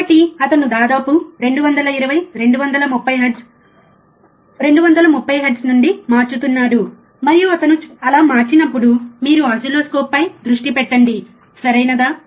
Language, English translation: Telugu, So, he is changing from almost 220, 230 hertz, right 230 hertz, and he is changing so, guys you focus on the oscilloscope, alright